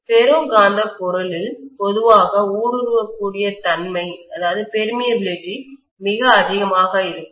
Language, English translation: Tamil, The ferromagnetic material generally have something called permeability which is a very very high value for them